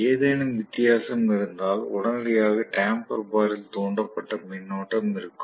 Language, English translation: Tamil, If there is any difference immediately there will be an induced current in the damper bar